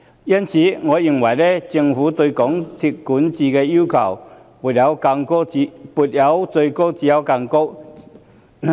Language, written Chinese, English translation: Cantonese, 因此，我認為政府對港鐵公司的管治要求應"沒有最高，只有更高"。, So I think the Governments requirement of MTRCLs governance should be without any limit